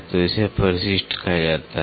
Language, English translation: Hindi, So, that is called as addendum